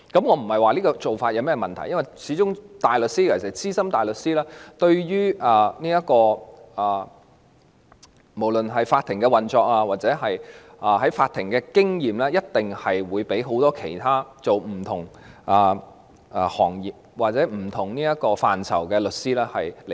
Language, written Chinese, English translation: Cantonese, 我不是說這個做法有問題，因為大律師——尤其是資深大律師——無論是對法庭運作的認識或在法庭的經驗，一定勝過很多從事其他行業或不同範疇的律師。, I am not saying that such a practice is problematic as barristers―especially Senior Counsels―are definitely much more well versed in the operation of the Courts and have richer court experience than many solicitors engaged in other sectors or different fields